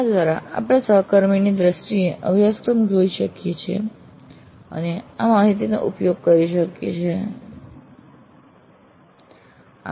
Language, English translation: Gujarati, This allows us to see the course as seen through the IFA colleague and this information can also be used to plan the improvements for the course